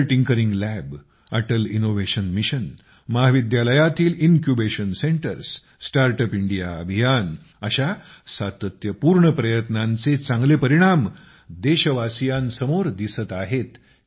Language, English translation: Marathi, Atal Tinkering Lab, Atal Innovation Mission, Incubation Centres in colleges, StartUp India campaign… the results of such relentless efforts are in front of the countrymen